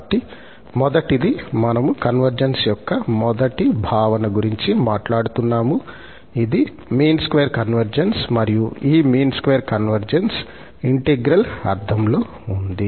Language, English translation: Telugu, Well, so the first one, we are talking about the first notion of the convergence, this is mean square convergence, and this mean square convergence is in the sense of the integral